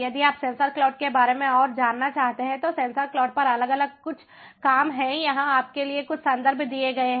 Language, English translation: Hindi, if you are interested to know further about sensor cloud, the different works on sensor cloud, here are few references for you